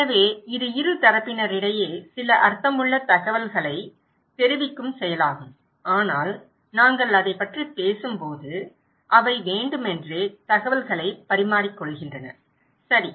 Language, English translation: Tamil, So, it’s an act of conveying some meaningful informations between two parties but when we are talking about that they are purposeful exchange of informations, okay